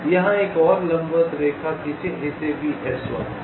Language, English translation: Hindi, you run ah perpendicular line like this, call this s one